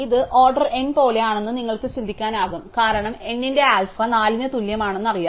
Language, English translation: Malayalam, So, you can think of this has been something like order n, because we know that alpha of n is less than equal to 4